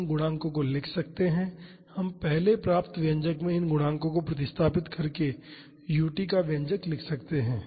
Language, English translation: Hindi, We know the coefficients and we can write the expression of u t by substituting these coefficients in the expression we have derived earlier